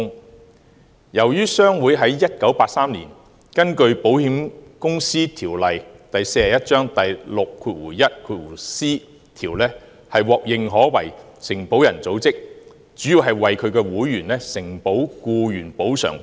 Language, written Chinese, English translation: Cantonese, 由於印刷業商會在1983年根據《保險業條例》第 61c 條獲認可為承保人組織，主要是為其會員承保僱員補償保險。, In 1983 HKPA was approved as an association of underwriters under section 61c of the Insurance Ordinance Cap . 41 mainly for underwriting employees compensation insurance business for its members